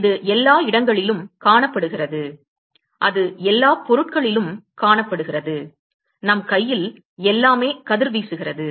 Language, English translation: Tamil, It is found everywhere it is found in all objects our hand everything is radiating